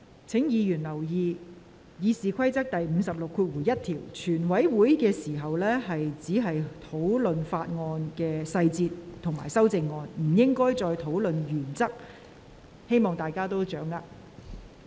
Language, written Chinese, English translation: Cantonese, 請委員注意，根據《議事規則》第561條，在全體委員會審議階段只可討論法案條文及修正案的細節，不得討論其原則，希望委員留意。, Will Members please note that pursuant to Rule 561 of the Rules of Procedure Members shall not discuss the principles of the clauses of the bill and amendments thereto but only their details at the Committee stage